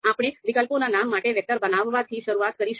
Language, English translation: Gujarati, Now, we will start with creating a vector for the names of alternatives